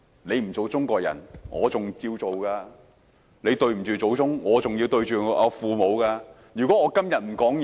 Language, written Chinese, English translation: Cantonese, 你不做中國人，我還要做；你對不起祖宗，我還要面對父母。, If you do not want to be Chinese I still want to; you have failed your ancestors but I still need to honour my parents